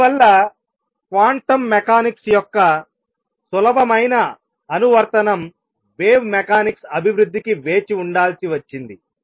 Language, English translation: Telugu, And therefore, the easy application of quantum mechanics had to wait the development of wave mechanics that will be covered in the next lecture onwards